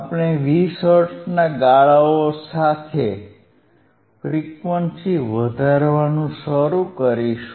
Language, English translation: Gujarati, We will start increasing the frequency with the step of 20 hertz